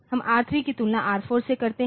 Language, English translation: Hindi, So, we compare R3 with R1